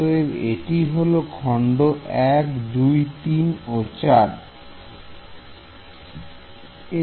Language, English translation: Bengali, So, this is element 1 2 3 4